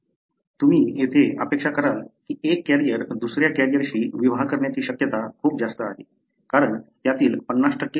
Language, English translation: Marathi, You will expect here that the chance that a carrier will marry another carrier is very high, because 50% of them are carriers